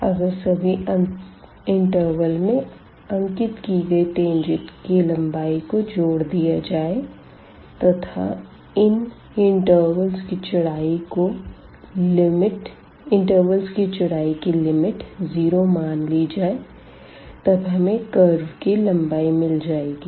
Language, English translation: Hindi, And this tangent the length of this tangent, if we add for all the intervals and later on we take the limit as the width of these intervals go to 0 in that case we will end up with getting the curve length